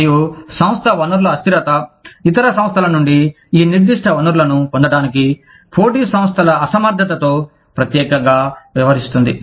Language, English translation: Telugu, And, firm resource immobility, specifically deals with, the inability of competing firms, to obtain these specific resources, from other firms